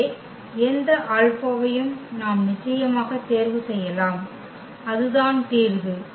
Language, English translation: Tamil, So, any alpha we can we can choose of course, here and that is the solution